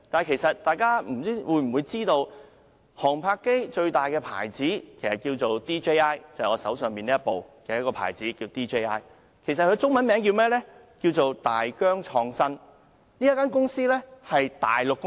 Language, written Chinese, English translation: Cantonese, 其實，大家是否知道就航拍機而言，最大的品牌是 DJI， 即我手上這一部的品牌，中文名稱是大疆創新科技有限公司。, Actually I wonder if Members know that in the case of drones the largest manufacturer is DJI the manufacturer of the drone in my hands